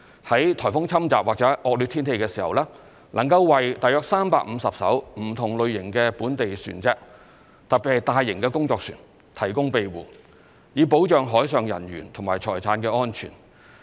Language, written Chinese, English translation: Cantonese, 在颱風侵襲或惡劣天氣時，能夠為約350艘不同類型的本地船隻——特別是大型工作船——提供庇護，以保障海上人員及財產安全。, It provides shelter to around 350 local vessels of various types particularly large working vessels during typhoons or inclement weather so as to ensure the safety of marine workers and property